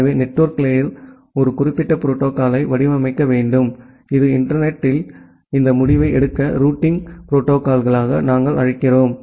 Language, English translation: Tamil, So, the network layer need to design a particular protocol which we call as the routing protocol to make this decision in the internet